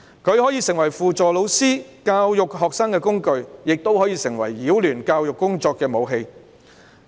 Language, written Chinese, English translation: Cantonese, 它可以成為輔助老師教育學生的工具，亦可以成為擾亂教育工作的武器。, It may become a tool assisting teachers in educating students or a weapon disrupting educational work